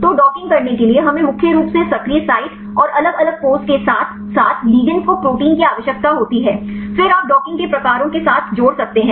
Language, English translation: Hindi, So, to do the docking we need proteins mainly the active site and different poses, as well as the ligands, then you can add with types of docking